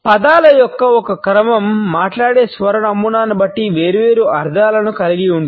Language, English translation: Telugu, A single sequence of words can have different meanings depending on the tone pattern with which it is spoken